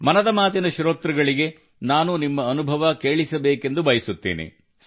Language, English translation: Kannada, I would like to share your experience with the listeners of 'Mann Ki Baat'